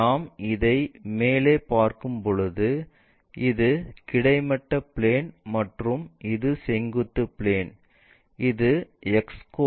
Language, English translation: Tamil, When we are looking top view this one, this is the horizontal plane and this is the vertical plane, X coordinate, Y coordinates visible